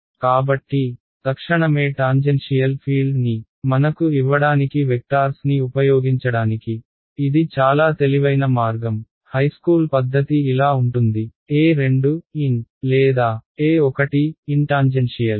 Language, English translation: Telugu, So, this is one very clever way of using vectors to give us the tangential field immediately, the high school way of writing it is like this, E 2 bracket x or E 2 bracket tangential